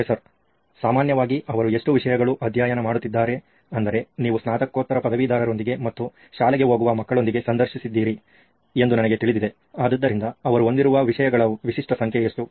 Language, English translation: Kannada, How many subjects do typically they I mean you’ve talked to postgraduates, I know you’ve talked to school going kids, so what is the typical number of subjects that they have